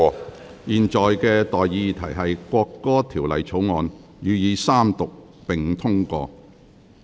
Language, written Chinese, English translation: Cantonese, 我現在向各位提出的待議議題是：《國歌條例草案》予以三讀並通過。, I now propose the question to you and that is That the National Anthem Bill be read the Third time and do pass